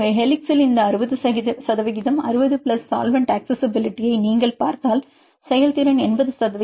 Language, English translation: Tamil, So, if you see here this 60 percent 60 plus solvent accessibility in helix the performance about 80 percent and the correlation is around 0